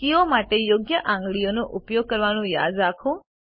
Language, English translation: Gujarati, Remember to use the correct fingers for the keys